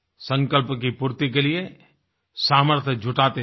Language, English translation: Hindi, Let's enable ourselves to fulfill our resolutions